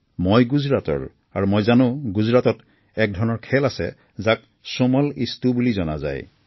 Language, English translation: Assamese, I known of a game played in Gujarat called Chomal Isto